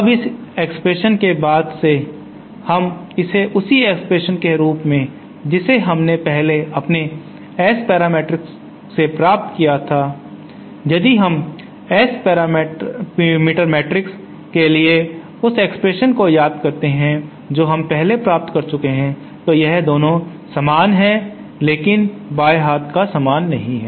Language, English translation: Hindi, Now since this expression we call this same as the expression that we had earlier derived for our S parameter matrix if we recall that expression for S parameter matrix that we had earlier derived was like this both, these 2 are same but the left hand sides are not the same